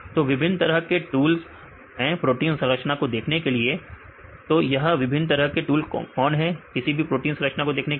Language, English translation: Hindi, So, there are various tools to visualize the protein structures right; what are the various tools to visualize the protein structures